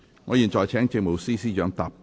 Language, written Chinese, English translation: Cantonese, 我現在請政務司司長答辯。, I now call upon the Chief Secretary for Administration to reply